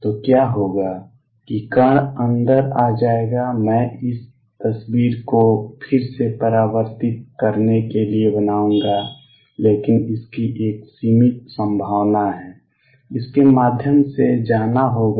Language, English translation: Hindi, So, what would happen is particle would come in let me make this picture again would come in get reflected, but there is a finite probability that will go through